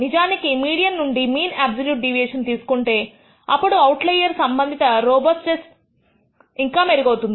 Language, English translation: Telugu, In fact, if you take the mean absolute deviation from the median, it would be even better in terms of robustness with respect to the outlier